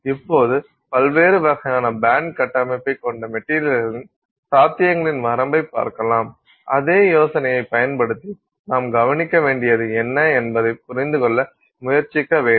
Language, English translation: Tamil, We can now look at a range of possibilities of materials with different kinds of band structure and using the same idea, try to understand what it is that you are likely to observe